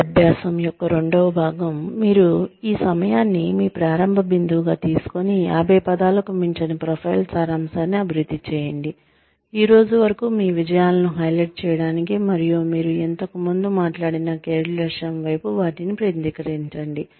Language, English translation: Telugu, The second part of this exercise, you take this time, as your starting point, and develop a profile summary, of not more than 50 words, to highlight your achievements till date, and focus them towards, the career objective, you have talked about, earlier